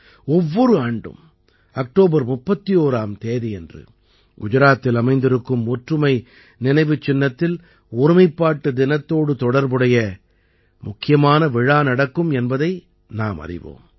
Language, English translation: Tamil, We know that every year on the 31st of October, the main function related to Unity Day takes place at the Statue of Unity in Gujarat